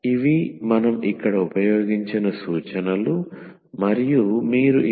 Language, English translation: Telugu, These are the references used, and thank you for your attention